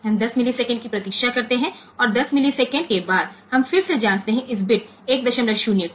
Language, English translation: Hindi, So, we call for a delay of 10 millisecond we wait for 10 millisecond and after 10 millisecond, we again check whether bit 1